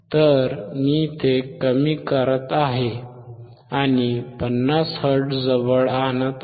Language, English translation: Marathi, So, I am decreasing 250 hertz, close to 50 hertz